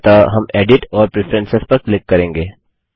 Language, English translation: Hindi, So we will click on Edit and Preferences